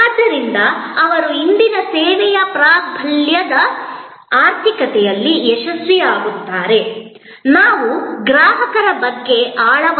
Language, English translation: Kannada, And therefore, they succeed in this service dominated economy of today; we have to think deeper about customers